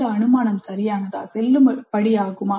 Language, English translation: Tamil, Is this assumption valid